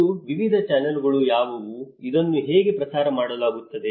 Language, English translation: Kannada, And what are the various channels, how this is disseminated